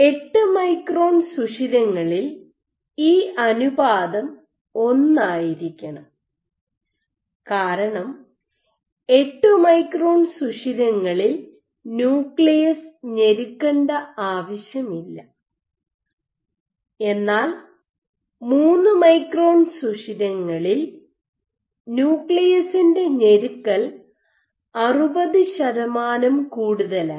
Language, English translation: Malayalam, This ratio in 8 micron pores it should be 1, right because in eight micron pores the nuclear does not need to be squeezed, but in 3 micron pores there is a nearly 60 percent increased